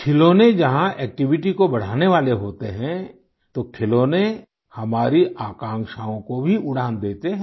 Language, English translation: Hindi, Friends, whereas toys augment activity, they also give flight to our aspirations